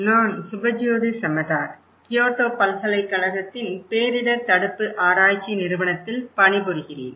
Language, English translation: Tamil, Hello, everyone, I am Subhajyoti Samaddar from the Disaster Prevention Research Institute, Kyoto University